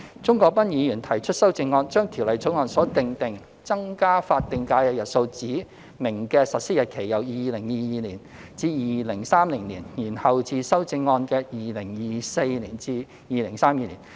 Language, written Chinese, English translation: Cantonese, 鍾國斌議員提出修正案，將《條例草案》所訂定增加法定假日日數指明的實施日期由2022年至2030年，延後至修正案建議的2024年至2032年。, Mr CHUNG Kwok - pan proposed an amendment to defer the specified implementation date of increasing the additional SHs from 2022 to 2030 in the Bill to 2024 to 2032 as proposed in the amendment